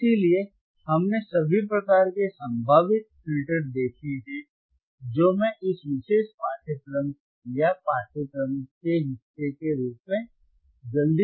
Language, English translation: Hindi, So, we have seen all the kind of filters possible filters that I can show it to you quickly in the part of as a part of this particular curriculum or part of this particularor course